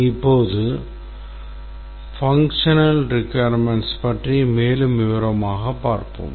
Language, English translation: Tamil, Now let's look at the functional requirements